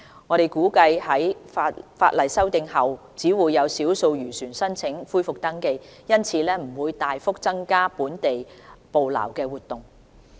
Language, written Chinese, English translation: Cantonese, 我們估計在法例修訂後只會有少數漁船申請恢復登記，因此不會大幅增加本地捕撈活動。, We expect only a small number of fishing vessels will apply for re - registration after the legislation have been amended and hence local fishing activities will not increase significantly